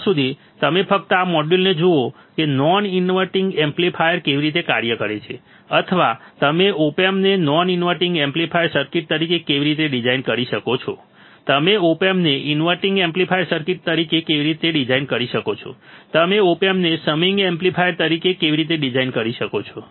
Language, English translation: Gujarati, Till then you just look at this module understand how the non inverting amplifier works, or how you can design the opamp as a non inverting amplifier circuit, how you can design opamp as a inverting amplifier circuit, how you can design opamp as a summing amplifier all right